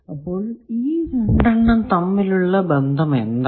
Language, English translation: Malayalam, Now, what is the relation between the 2 S